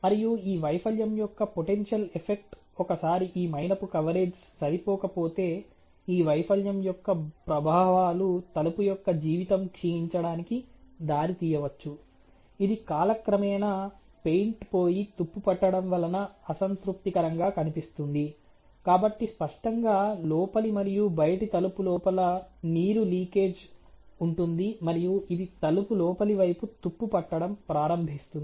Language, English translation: Telugu, So, once this wax coverage is insufficient, the effects of this failure could be the deteriorated life of the door which can lead to an unsatisfactory appearance due to rust through paint over time, so obviously, there is going to be a sinking of the water with in the door inner and outer and its going start rusting the inner side inside of the door ok